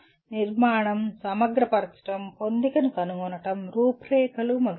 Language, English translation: Telugu, Structure, integrate, find coherence, outline and so on